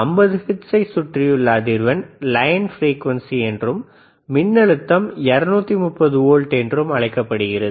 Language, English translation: Tamil, Frequencies around 50 hertz is also called line frequency and the voltage was 230 volts